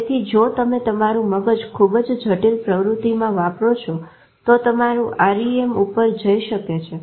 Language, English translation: Gujarati, So if you are using your brain too much, a lot of complicated activity your REM may go up actually